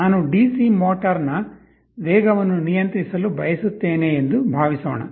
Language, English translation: Kannada, Suppose I want to control the speed of a DC motor